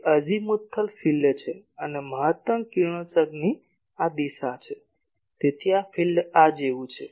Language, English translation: Gujarati, That is the Azimuthal field and this direction of maximum radiation y so, the field is like this